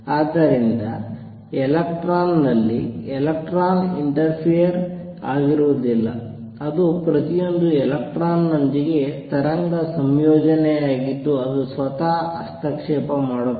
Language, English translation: Kannada, So, it is not that an electron interface over on electron, it is wave associate with each single electron that interfere with itself